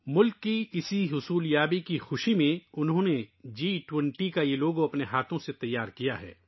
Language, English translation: Urdu, Amid the joy of this achievement of the country, he has prepared this logo of G20 with his own hands